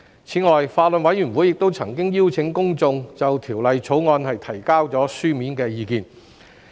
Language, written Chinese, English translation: Cantonese, 此外，法案委員會亦曾邀請公眾就《條例草案》提交書面意見。, In addition the Bills Committee has also invited the public to give written views on the Bill